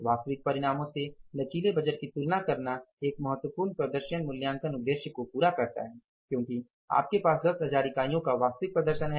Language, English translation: Hindi, Comparing the flexible budgets to the actual results accomplishes an important performance evaluation purpose because you have actual performance 10,000 units